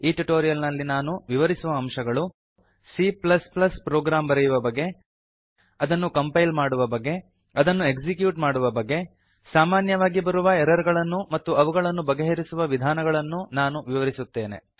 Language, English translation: Kannada, In this tutorial I am going to explain, How to write a C++ program How to compile it How to execute it We will also explain some common errors and their solution